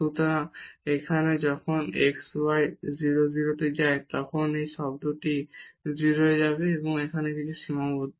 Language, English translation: Bengali, So, here when x y goes to 0 0 so, this term will go to 0 and something finite is sitting here